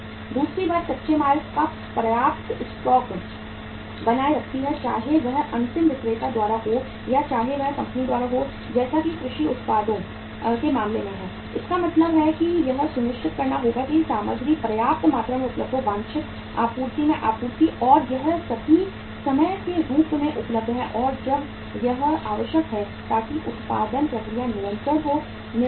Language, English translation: Hindi, Second thing is maintains sufficient stock of raw material, whether it is by the end seller or whether it is by the company as in the case of the agricultural products it has to be made means it has to be assured that material is available in the sufficient supply in the desired supply and it is all the times available as and when it is required so that production process is continuous